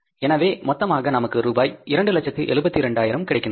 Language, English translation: Tamil, This total value again becomes 2,072,000 rupees